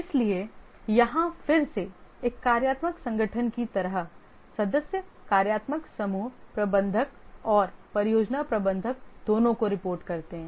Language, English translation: Hindi, So here again, just like a functional organization, the members report to both functional group manager and the project manager